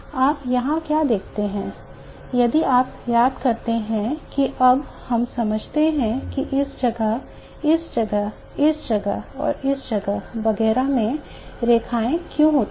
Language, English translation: Hindi, What you see here if you recall that now we understand why lines occur in this place, in this place, in this place, this place, etc